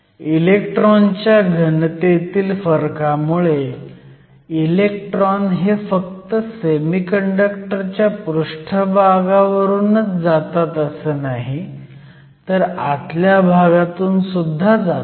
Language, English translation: Marathi, Now, because of the difference in electron densities, electrons from the semiconductor not only move from the surface but they also move from a certain region within the bulk